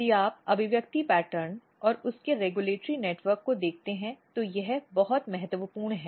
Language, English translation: Hindi, But if you look the expression pattern and their regulatory network it is very important